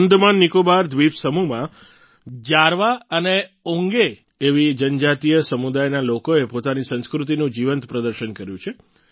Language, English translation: Gujarati, In the AndamanNicobar archipelago, people from tribal communities such as Jarwa and Onge vibrantly displayed their culture